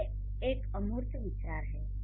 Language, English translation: Hindi, Love is an abstract idea